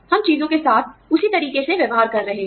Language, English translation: Hindi, We are dealing with things, in the same manner